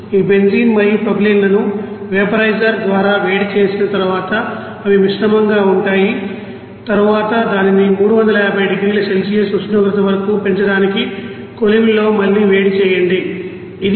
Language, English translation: Telugu, And these you know benzene and propylene after heating up by vaporizer those are mixed and then it is again you know heat it up in a furnace to raise it is temperature around 350 degree Celsius